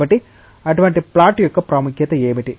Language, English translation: Telugu, So, what is the significance of such a plot